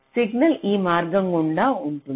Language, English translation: Telugu, so now signal flows through this path